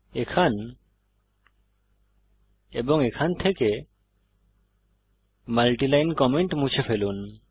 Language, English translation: Bengali, Remove the multi line comments here and here